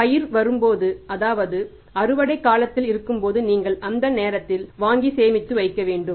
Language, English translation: Tamil, So, when there is a harvest season when the crop comes you will have to buy at that time and store it